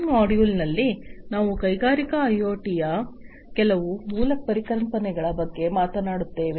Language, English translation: Kannada, In this module, we will be talking about some of the basic concepts of Industrial IoT